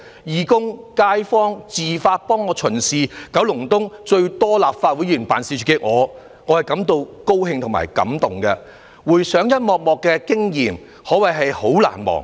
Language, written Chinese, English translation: Cantonese, 義工和街坊自發地為我巡視，九龍東最多立法會議員辦事處的我，感到高興和感動，回想一幕幕的經驗可謂相當難忘。, I am happy and touched by the volunteers and neighbours who have volunteered to patrol the neighbourhoods . I am the Member with the largest number of Legislative Council Members offices in Kowloon East . These are all unforgettable experiences to me